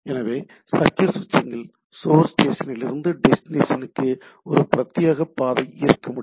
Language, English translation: Tamil, So, for circuit switching I should have a dedicated path from the source station to the destination right